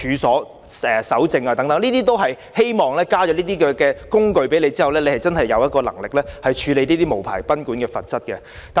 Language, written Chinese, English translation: Cantonese, 這些修訂都是希望透過增加一些"工具"，令當局更有能力處理無牌賓館的問題。, All these amendments aim to give the authorities more power to tackle the problem of unlicensed guesthouses by providing it with some additional tools